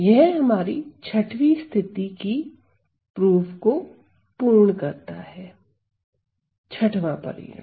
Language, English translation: Hindi, So, that completes my proof for the 6th case, the 6th result ok